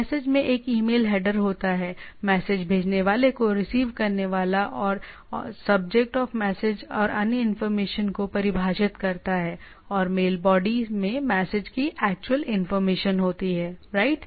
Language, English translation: Hindi, Message there is a email header, defines the sender receiver and subject of the message and other information and mail body contains the actual information of the message, right